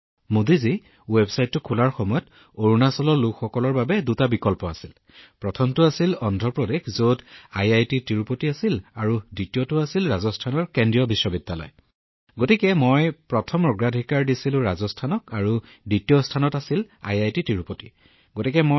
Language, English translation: Assamese, Modi ji, When I opened the website, the people of Arunachal had two options… First was Andhra Pradesh which had IIT Tirupati and the second was Central University, Rajasthan so I put in my First preference as Rajasthan, Second Preference I did IIT Tirupati